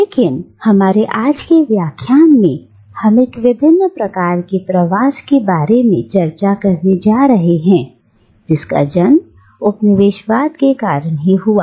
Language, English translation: Hindi, But today in our lecture we are going to discuss an opposite kind of migration, an opposite kind of dispersion that the colonialism gave birth to